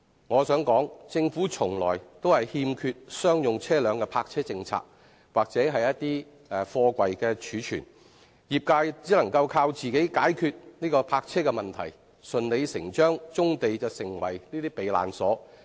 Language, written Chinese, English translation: Cantonese, 我想說，政府從來都欠缺商用車輛的泊車政策或貨櫃貯存政策，業界只能靠自己解決泊車問題，而棕地順理成章成為了這些車輛的"避難所"。, I wish to say that as the Government has never come up with a policy on commercial vehicle parking or container storage members of the sector can only rely on themselves to solve the parking problem and brownfield sites have naturally become havens for the vehicles concerned